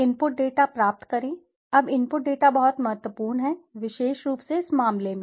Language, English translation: Hindi, Obtain the input data, now input data is very, very important especially in this case